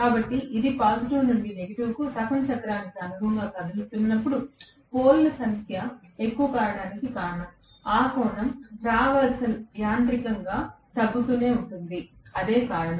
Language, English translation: Telugu, So, when it is moving from the positive to negative that corresponds to half the cycle time, so that is the reason the more the number of poles, that angle traverse keeps on decreasing mechanically, that is the reason